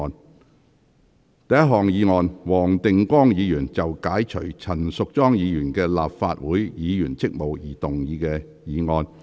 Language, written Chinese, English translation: Cantonese, 第一項議案：黃定光議員就解除陳淑莊議員的立法會議員職務動議的議案。, First motion Mr WONG Ting - kwongs motion to relieve Ms Tanya CHAN of her duties as a Member of the Legislative Council